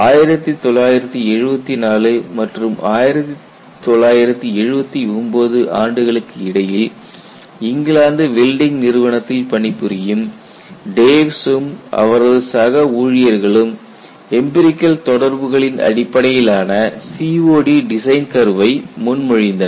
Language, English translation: Tamil, So, Dews and his co workers between the years 1974 and 1979 at UK Welding Institute proposed COD design curve based on empirical correlations